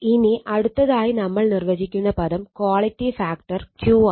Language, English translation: Malayalam, Next another term we define the quality factor it is called Q right